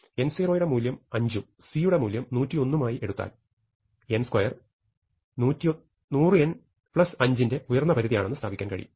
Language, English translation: Malayalam, So, by choosing n 0 to be 5 and c to be 101 we have established that n square is an upper bound to 100 n plus 5